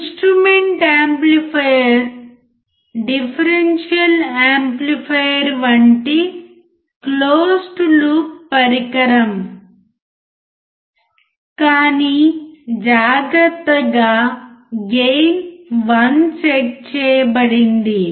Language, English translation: Telugu, The instrument amplifier is a closed loop device like differential amplifier, but with carefully set gain 1